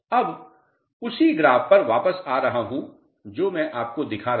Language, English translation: Hindi, Now, coming back to the same graph which I was showing you